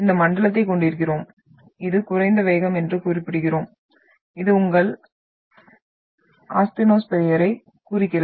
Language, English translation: Tamil, you are having this zone what we terms as the low velocities one and this is representing your asthenosphere